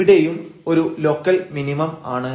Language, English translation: Malayalam, So, this is a point of local maximum